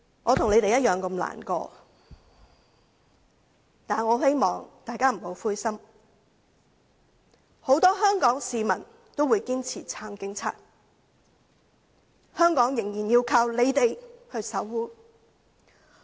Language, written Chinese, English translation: Cantonese, 我與他們同樣感到難過，但我很希望大家不要灰心，很多香港市民均堅定地支持警員，香港仍然要靠他們守護。, I feel as sad as they do but I hope they will not feel dejected . Many people of Hong Kong staunchly support police officers . Hong Kong still counts on their protection